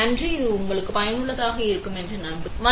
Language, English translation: Tamil, Thank you, hope you found this useful